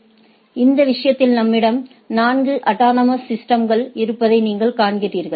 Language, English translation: Tamil, So, in this case we have you see we have 4 autonomous systems